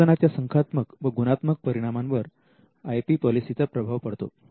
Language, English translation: Marathi, Now, the IP policy can also influence the quality and quantity of research output